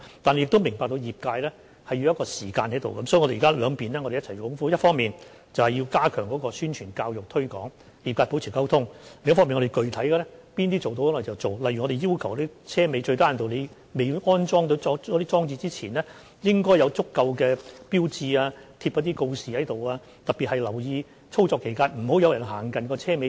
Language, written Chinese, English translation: Cantonese, 我們亦明白業界需要時間，所以我們現在會兩方面一起去做，一方面我們會加強宣傳、教育和推廣，與業界保持溝通；另一方面我們會展開具體可行的工作，例如我們要求貨車在未安裝車尾安全裝置之前，最低限度要張貼足夠的警告告示，並要在操作期間特別留意，不要讓人們走近貨車尾板。, We will thus proceed in two directions . On the one hand we will step up publicity education and promotion and maintain communication with the industry; and on the other we will kick start certain feasible and specific tasks . For instance we will require goods vehicles with safety devices yet to be installed for their tail lift to at least affix sufficient warning and notices and tail lift operators to watch out for people walking nearby during tail lift operation